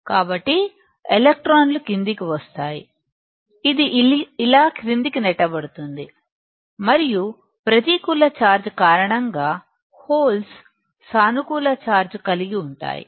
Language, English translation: Telugu, So, electrons will come down, it will be pushed down like this and because of a negative charge is there holes will have positive charge that we know